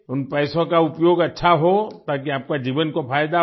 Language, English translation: Hindi, Use that money well so that your life benefits